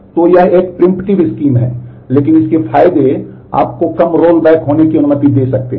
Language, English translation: Hindi, So, it is a preemptive scheme, but it the advantages it might allow you fewer roll backs to happen